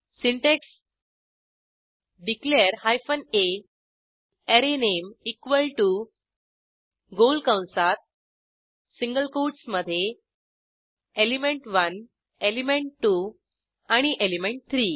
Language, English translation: Marathi, The syntax is declare hyphen `a` arrayname equal to within round brackets within single quotes element1 , element2 and element3